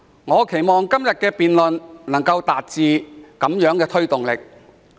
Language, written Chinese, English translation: Cantonese, 我期望今天的辯論能夠為政府帶來推動力。, I hope that todays debate will give an impetus to the Government